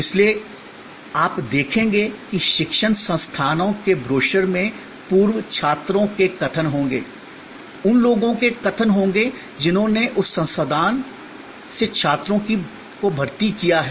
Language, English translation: Hindi, So, that is why, you will see that in the brochures of educational institutes, there will be statements from alumni, there will be statements from people who have recruited students from that institute and so on